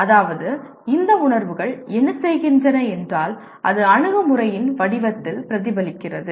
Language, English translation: Tamil, That means what these feelings do is if the, it reflects in the form of approach